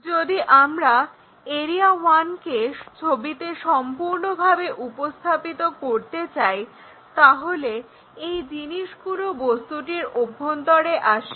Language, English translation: Bengali, If, we want to really represent this area one completely in the picture, then these things really comes in the inside of that object